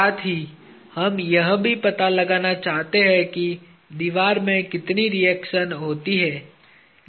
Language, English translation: Hindi, Also, we wish to find out how much of reaction goes into the wall